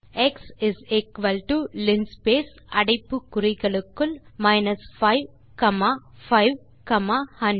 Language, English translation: Tamil, Then type x is equal to linspace in brackets 5 comma 5 comma 500